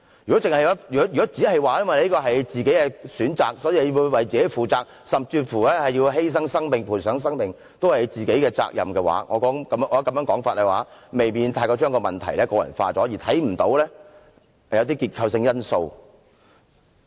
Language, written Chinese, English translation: Cantonese, 如果只說這是他們的個人選擇，所以要自己負責，甚至是犧牲生命、賠上生命也是他們的責任，我認為這種說法未免把問題過分個人化，而看不到結構性的因素。, If we only say that this is their own choice and so they must bear the consequences and they still have themselves to blame even if they have to sacrifice or risk their lives I think such a view may have put undue emphasis on the personal factors causing the problem to the neglect of the structural factors